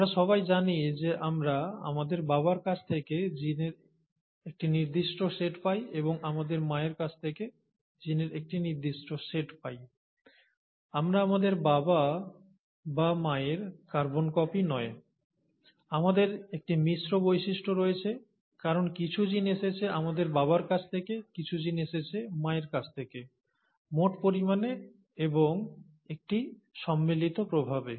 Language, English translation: Bengali, We all know that we get a certain set of genes from our father, and a certain set of genes from our mother, and we are neither a carbon copy of our father nor our mother, we have a mix features because some genes have come from our father, some genes have come from our mother, and as a sum total and a combined effect